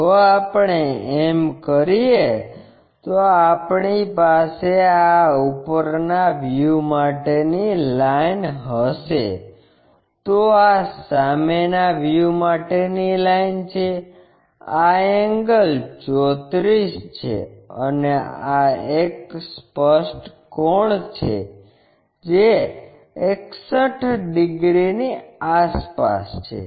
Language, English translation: Gujarati, If, we do that we will have this top view line, this is the front view line, this angle is 34, and this one the apparent angle is around 61 degrees